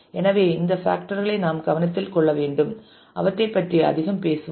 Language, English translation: Tamil, So, these are the factors that we will have to take into consideration and we will talk more about those